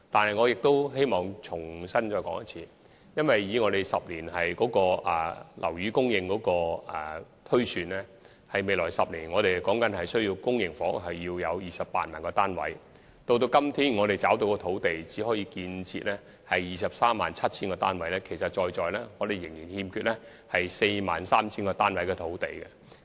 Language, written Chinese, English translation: Cantonese, 然而，我希望在此重申，按照10年房屋需求推算，我們需要在未來10年提供 280,000 個公營房屋單位，但至今覓得的土地只足夠讓我們建設 237,000 個單位，我們仍然欠缺興建 43,000 個單位的土地。, However I would like to hereby reiterate that according to the 10 - year housing demand projection we have to provide 280 000 public housing units in the next 10 years but only 237 000 units can be built with the sites identified so far and there is still a lack of housing sites for the production of the remaining 43 000 units